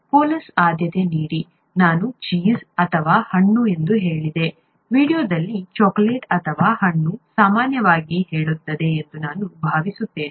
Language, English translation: Kannada, Do Koalas Prefer, I said Cheese Or Fruit, I think the video says Chocolate or Fruit Generally Speaking